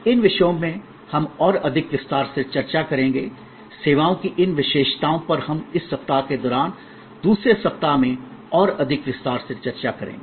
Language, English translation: Hindi, These topics of course, we will discuss more in detail, these characteristics of services we will discuss more in detail during this week, the second week